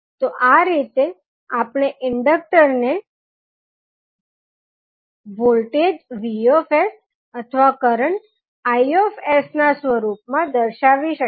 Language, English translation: Gujarati, So, in this way we can represent the inductor either for in the form of voltage vs or in the form of current i s